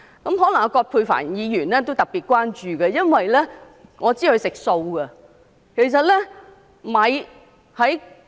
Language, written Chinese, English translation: Cantonese, 可能葛珮帆議員也特別關注這一點，因為我知道她是素食者。, Perhaps Dr Elizabeth QUAT is particularly concerned about this point too for I understand that she is a vegetarian